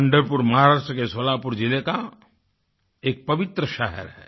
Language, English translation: Hindi, Pandharpur is a holy town in Solapur district in Maharashtra